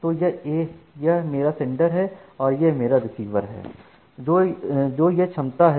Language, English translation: Hindi, So, this is my sender and this is my receiver now the capacity